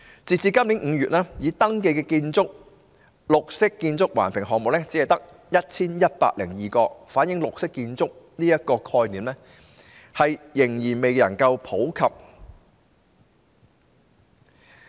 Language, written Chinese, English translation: Cantonese, 截至今年5月，已登記的綠建環評項目只有 1,102 個，反映綠色建築的概念仍未普及。, As of May this year there were only 1 102 registered BEAM Plus projects reflecting that the concept of green buildings is not yet popular